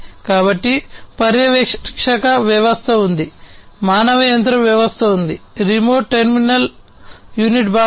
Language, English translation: Telugu, So, there is a supervisory system, there is a human machine system, there is a remote terminal unit component